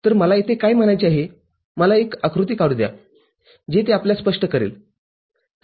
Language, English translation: Marathi, So, what I mean over here let me draw a diagram which may make it clear to you